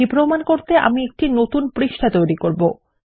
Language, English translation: Bengali, To prove this Ill create a new page